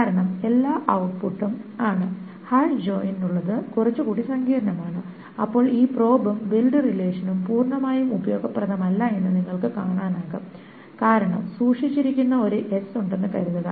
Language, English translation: Malayalam, For the hash join it's a little bit more complicated and you see that this probe and build relation is not completely useful because suppose there is an S that is skipped on